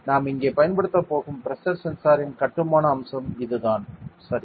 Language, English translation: Tamil, So, this is the how the construction aspect of a pressure sensor that we are going to use here ok